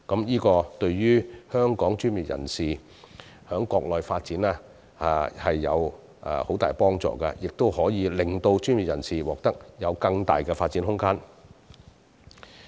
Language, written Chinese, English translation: Cantonese, 這對於本港專業人士在國內發展有很大幫助，亦可令他們獲得更大的發展空間。, Such initiatives will be of great help to the career development of local professionals on the Mainland and will offer them a greater space for development